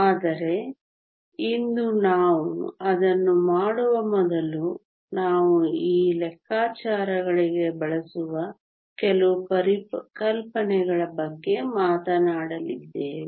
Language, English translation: Kannada, But before we do that today we are going to talk about some concepts that we will use for these calculations